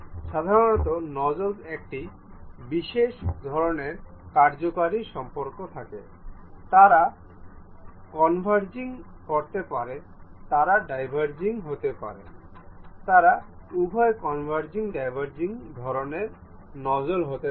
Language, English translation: Bengali, The typical nozzles have one particular kind of functional relations, they can be converging, they can be diverging, they can be both converging diverging kind of nozzles